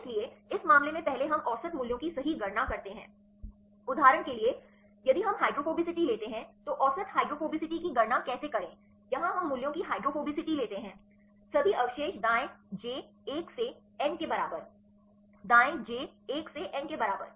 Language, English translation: Hindi, So, in this case first we calculate the average value right, for example, if we take the hydrophobicity how to calculate the average hydrophobicity; here we take the hydrophobicity of values; all the residues right j equal to 1 to n, right j equal to 1 to n what is n